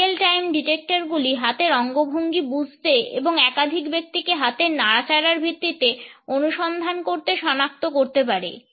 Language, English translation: Bengali, Real time detectors can understand hand gestures and track multiple people and make detections on the basis of the hand movements only